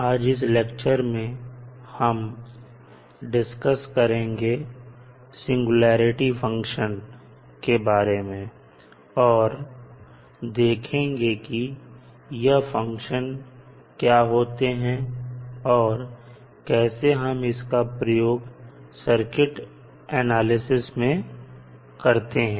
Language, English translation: Hindi, So, today in this lecture we will discuss about the singularity functions, what are those functions and we will see how we will use those functions in our circuit analysis